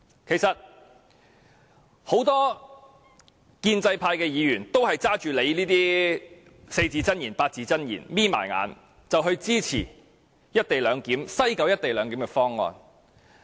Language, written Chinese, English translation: Cantonese, 其實，很多建制派議員也聽信局長這些四字或八字真言，閉着眼支持西九"一地兩檢"的方案。, Actually many Members of the pro - establishment camp falling for these four - character or eight - character phrases of the Secretary support the proposal for the co - location arrangement in West Kowloon with their eyes closed